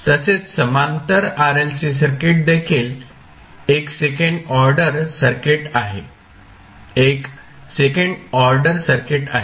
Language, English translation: Marathi, Also, the parallel RLC circuit is also the second order circuit